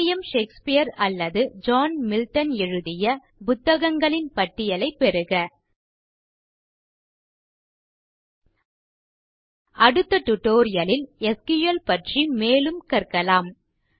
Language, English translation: Tamil, Get a list of books which were written by William Shakespeare or John Milton Let us learn more about SQL in the next tutorial